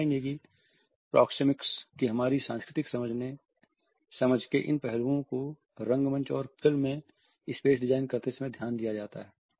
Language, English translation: Hindi, You would find that these aspects of our cultural understanding of proxemics are also carried over to the way space is designed in stage, in theatre and in film